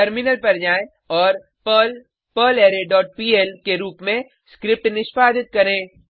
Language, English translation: Hindi, Switch to the terminal and execute the script as perl perlArray dot pl and press Enter